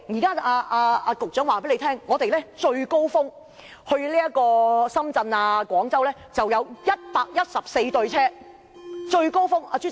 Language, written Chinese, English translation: Cantonese, 局長說最高峰時期來回深圳、廣州會有114對列車。, The Secretary said that during the peak period there would be 114 train pairs running between Hong Kong and Shenzhen and Guangzhou